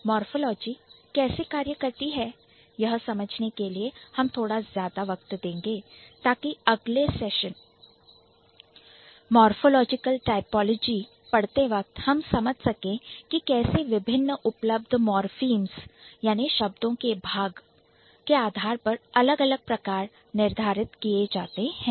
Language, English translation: Hindi, We are spending a bit of more time to understand how morphology works and when we move to morphological typology in the next session we should be able to understand how different types can be decided on the basis of the types of morphins that we have in hand